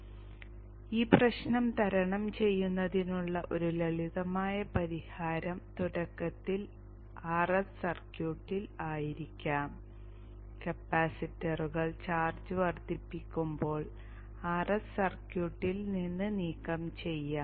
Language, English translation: Malayalam, So a simple solution to overcome this problem would be initially R S can be the circuit and once the capacitor has built up charge R S can be removed from the circuit